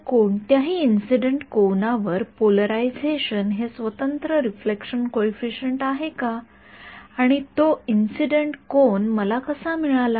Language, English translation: Marathi, So, is polarization independent reflection coefficient at any incident angle and how did I get that any incident angle